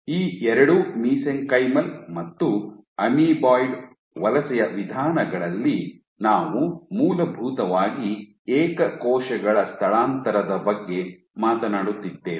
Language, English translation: Kannada, So, both these modes in both these mesenchymal and amoeboid modes of migration I was essentially talking about single cell migration